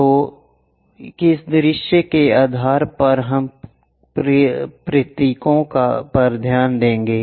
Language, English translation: Hindi, So, based on which view we will note the symbols